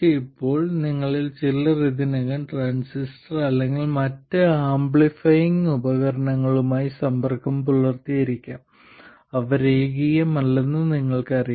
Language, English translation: Malayalam, Now, some of you may have already been exposed to the transistor or other amplifying devices and you know that they are nonlinear